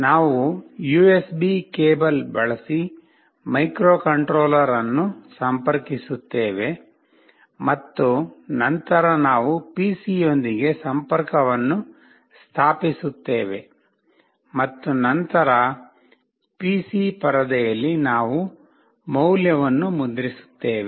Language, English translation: Kannada, We will be connecting the microcontroller using the USB cable and then we will be establishing a connection with the PC and then in the PC screen we will print the value